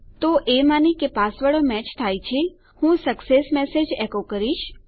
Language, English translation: Gujarati, So assuming my passwords do match, let me echo this success message